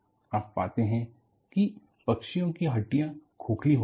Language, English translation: Hindi, You find birds have hollow bones